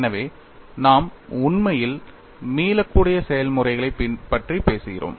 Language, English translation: Tamil, So, we are really talking about reversible processors